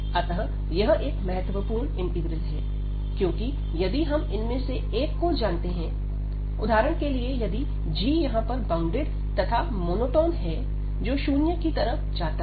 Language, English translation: Hindi, So, this is a very useful integral, because if we know that one of them, so for example g is here this bounded and monotone going to 0 here